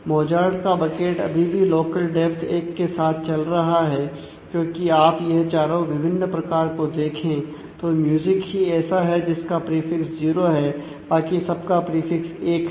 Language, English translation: Hindi, So, many bits Mozart this bucket continues to B with a local depth of 1 because if you look into all these 4 different cases; then music is the only one which has a prefix 0, everyone else has a prefix 1